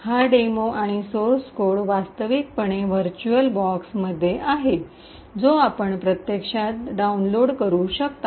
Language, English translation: Marathi, This demo and the source code is actually present in a virtualbox which you can actually download